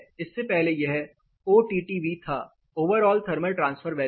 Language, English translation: Hindi, Earlier it is OTTV; overall thermal transfer value